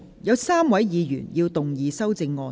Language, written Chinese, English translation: Cantonese, 有3位議員要動議修正案。, Three Members will move amendments to this motion